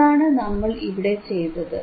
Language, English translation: Malayalam, This is what we are doing here, right